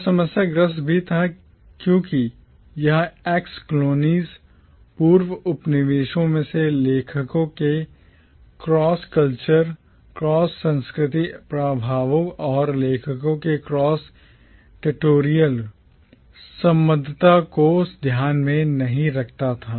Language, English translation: Hindi, It was also problematic because it did not take into account the cross cultural influences and the cross territorial affiliations of authors from the ex colonies